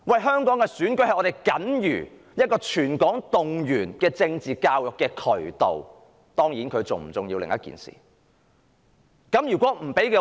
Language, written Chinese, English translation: Cantonese, 香港的選舉是僅餘能夠向全港進行政治教育的渠道，當然，這是否重要是另一回事。, Election is the only remaining outlet for political education in Hong Kong . Of course whether election is important or not is another matter